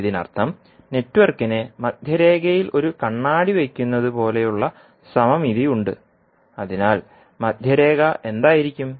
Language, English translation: Malayalam, It means that, the network has mirror like symmetry about some center line, so, what would be the center line